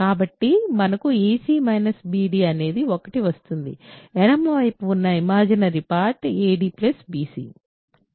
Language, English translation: Telugu, So, we get ac minus bd is 1, the imaginary part on the left hand side is ad plus bc